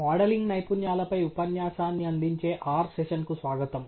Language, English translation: Telugu, Welcome to the R session that supplements the lecture on Modelling Skills